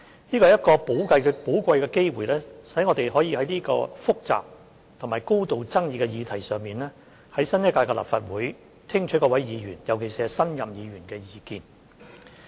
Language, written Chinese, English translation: Cantonese, 這是一個寶貴機會，讓我們可以在這個複雜及高度爭議的議題上，在新一屆立法會聽取各位議員，尤其是新任議員的意見。, This presents a precious opportunity for us to gather views from Members of the new Legislative Council especially those new Members on a subject that is complicated and highly controversial